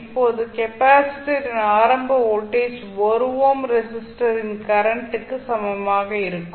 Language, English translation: Tamil, Now initial voltage across the capacitor would be same as the voltage across 1 ohm resistor